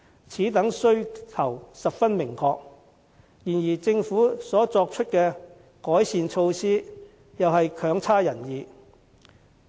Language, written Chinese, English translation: Cantonese, 此等訴求十分明確，然而政府作出的改善措施卻又未如人意。, The relevant aspirations are clear enough but the improvement measures taken by the Government are not quite so satisfactory